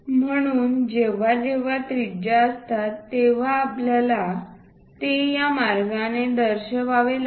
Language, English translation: Marathi, So, whenever this radiuses are there, we have to show it in that way